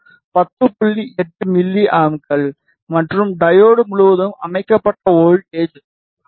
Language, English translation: Tamil, 8 milliamperes and the voltage set across the diode is 0